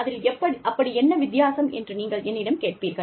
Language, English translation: Tamil, You will ask me, what the difference is